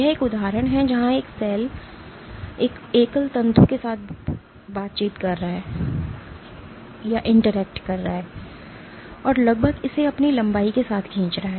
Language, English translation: Hindi, This is an example where a cell is interacting with a single fibril and almost pulling it along it is length